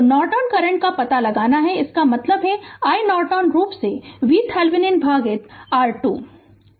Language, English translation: Hindi, So, finding Norton current; that means, i Norton basically is equal to V Thevenin by R thevenin